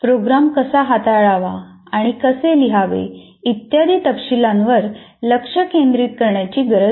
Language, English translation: Marathi, So you don't have to focus on the details of how to handle what kind of program to write and so on